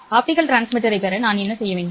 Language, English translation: Tamil, What do I need to obtain the optical transmitter